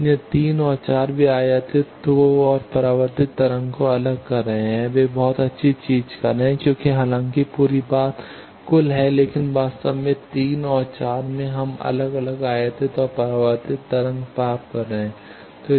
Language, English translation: Hindi, So, 3 and 4 they are separating the incident and reflected wave a very good thing because though the whole thing is total, but actually in 3 and 4 we are getting separated incident and reflected wave